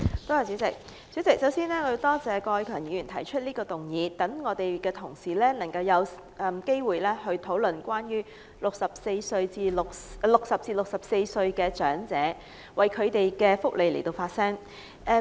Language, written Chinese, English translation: Cantonese, 代理主席，首先我要多謝郭偉强議員提出這項議案，讓我們有機會為60歲至64歲長者的福利發聲。, Deputy President first of all I would like to thank Mr KWOK Wai - keung for proposing this motion so that we can have the opportunity to speak out for elderly people aged 60 to 64 about their welfare